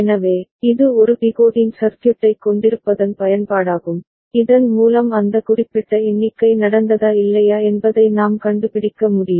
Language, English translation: Tamil, So, this is the utility of having a decoding circuit by which we can figure out whether that particular count has taken place or not ok